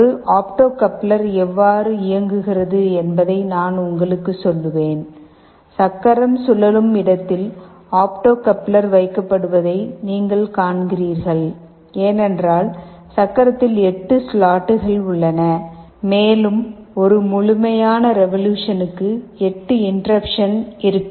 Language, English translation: Tamil, We shall tell you that how an opto coupler works, you see the opto coupler is strategically placed just in the place where the wheel is rotating, because there are 8 slots in the wheel, and for one complete revolution there will be 8 interruptions